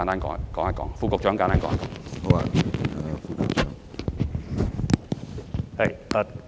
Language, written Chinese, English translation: Cantonese, 環境局副局長，請答覆。, Under Secretary for the Environment please reply